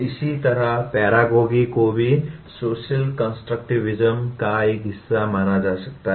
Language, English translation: Hindi, Similarly, “paragogy” is also can be considered as a part of social constructivism